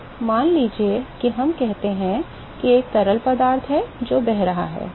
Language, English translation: Hindi, So, suppose we say that there is a fluid which is flowing ok